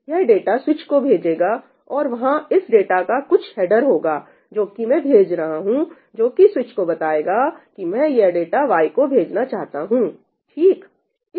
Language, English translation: Hindi, It will send data to the switch and there has to be some header in that data that I am sending, which tells the switch that I want to send this data to Y